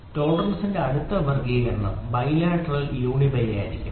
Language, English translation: Malayalam, The next classification of tolerance is going to be bilateral uni bi